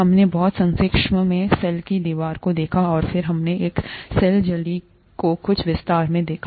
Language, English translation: Hindi, We very briefly looked at the cell wall and then we looked at the cell membrane in some detail